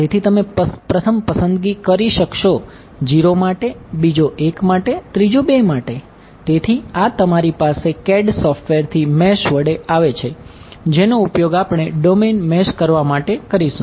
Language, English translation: Gujarati, So, you will choose the first one to be 0, the second one to be 1, the third one to be 2 ok; so, this coming to you from the mesh from the CAD software which we will use to mesh the domain ok